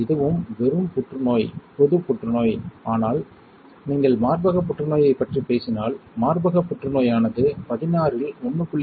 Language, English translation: Tamil, It was also this is just cancer, general cancer, but if you talk about breast cancer then breast cancer constituted an estimation of 1